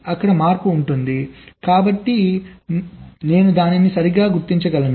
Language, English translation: Telugu, there will be a change, so i can detect it right